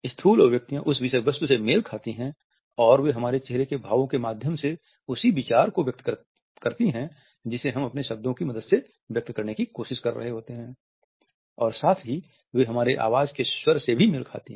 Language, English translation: Hindi, Macro expressions match the content they express the same idea through our facial expressions which we are trying to express with the help of our words and they also match the tone of the voice